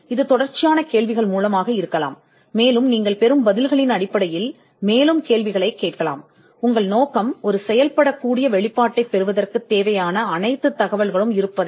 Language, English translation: Tamil, It could be through a series of questions, and based on the answers that you get you could ask further questions, the object is to ensure that you have all the information which can qualify for a working disclosure